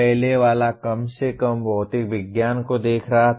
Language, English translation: Hindi, The earlier one was at least looking at material science